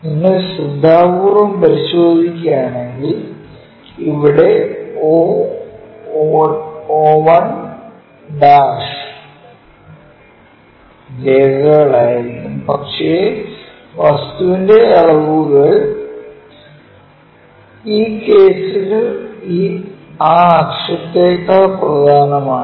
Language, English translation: Malayalam, If you note it carefully here the o o 1 supposed to be dashed dot lines, but the object dimensions are more important than that axis in this case